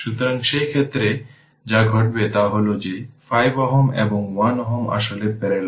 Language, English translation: Bengali, So, in that case, what will happen you will see that 5 ohm and 1 ohm actually are in parallel